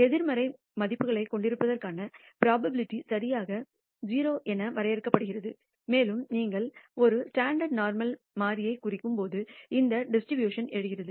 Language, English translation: Tamil, The probability to have negative values is defined to be exactly equal to 0 and it turns out that this distribution arises when you square a standard normal variable